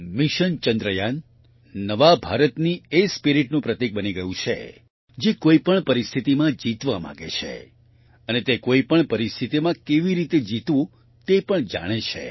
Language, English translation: Gujarati, Mission Chandrayaan has become a symbol of the spirit of New India, which wants to ensure victory, and also knows how to win in any situation